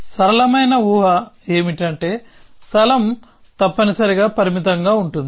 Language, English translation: Telugu, So, the simplest assumption is that the space is finite essentially